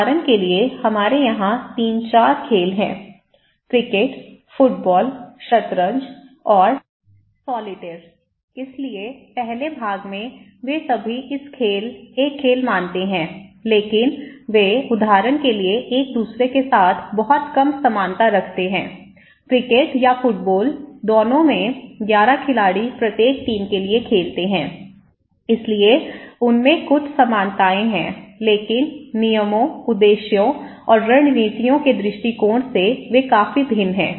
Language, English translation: Hindi, For example, we have the game here; 3, 4 games, one is and the cricket and in the soccer and the chess and solitaire okay so, in the first part they all consider to be a game but they have very less similarities with each other for example, the cricket or soccers both are 11 players play for each team so, they have some similarities but from the point of rules, aims and strategies they are quite different